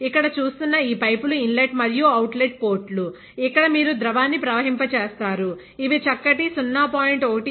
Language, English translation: Telugu, So, these pipes are the ports for inlet outlet, where you flow the liquid; these are varies fine 0